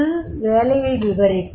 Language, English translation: Tamil, So, what is the job description